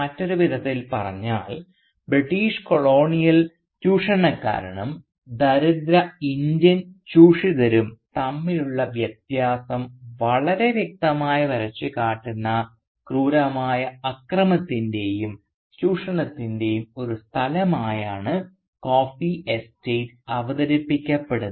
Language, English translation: Malayalam, So in other words, the coffee estate is presented as a site of barbaric violence and exploitation where the line distinguishing between the British colonial exploiter and the poor Indian exploited is very clearly drawn